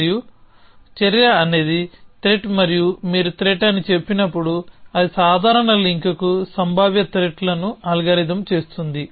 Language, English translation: Telugu, And action is threat and when you say threat it algorithms potential threat to a casual link